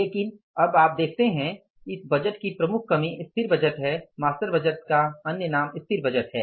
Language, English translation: Hindi, But now you see the major limitation of this budget, static budget, master budget is the other name of the master budget is the static budget